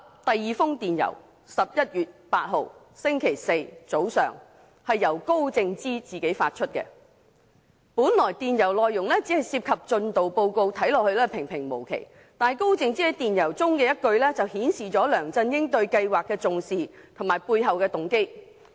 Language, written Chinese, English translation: Cantonese, 第二封電郵是在11月8日星期四早上由高靜芝自己發出，本來電郵內容只涉及進度報告，看似平平無奇，但高靜芝在電郵中的一句，就顯示了梁振英對計劃的重視及背後動機。, The second email was issued by Sophia KAO herself on the morning of 8 November Thursday . Originally the content of the email only involves a progress report and looks nothing special but a line written by Sophia KAO in the email shows the importance attached by LEUNG Chun - ying to the plan and his motive behind it